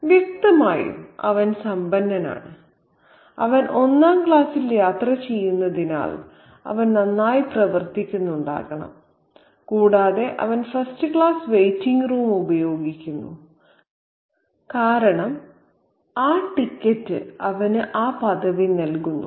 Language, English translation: Malayalam, He must be doing well because he travels first class and he is also using the first class waiting room because that ticket gives him that privilege